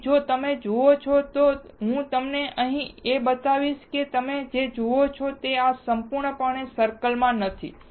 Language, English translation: Gujarati, So, if you see, let me show it to you here and if you see this is not completely circle